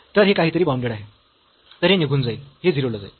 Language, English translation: Marathi, So, this is something bounded, so this will vanish this will go to 0